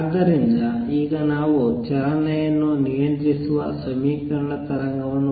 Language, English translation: Kannada, So now let us write the equation wave equation that governs the motion